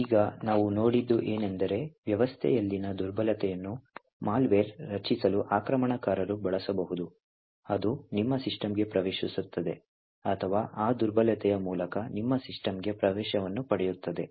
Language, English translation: Kannada, So now what we have seen is that a vulnerability in a system can be utilised by an attacker to create malware which would enter into your system or gain access into your system through that particular vulnerability